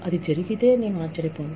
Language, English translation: Telugu, But if it does happen, I will not be surprised